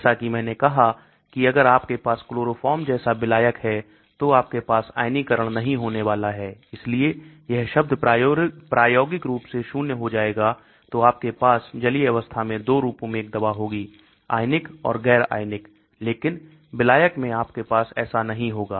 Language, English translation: Hindi, As I said if you have a solvent like chloroform, you are not going to have ionisation so this term will become practically zero so you will have a drug in 2 forms, ionised and un ionised only in the aqueous form but in the solvent you will not have that